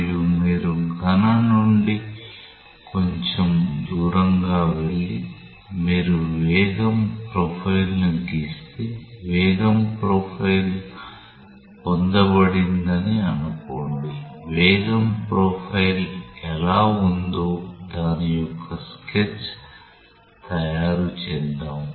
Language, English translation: Telugu, And if you go a little bit away from the solid and if you draw the velocity profile say the velocity profile is obtained something like let us make a sketch of how the velocity profile is there